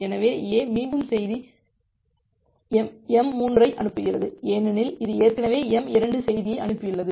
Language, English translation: Tamil, So, A again sends message m3 because it has sent message m2 already, it has sent message m2 already